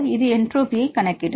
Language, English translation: Tamil, This will account for the entropy of the system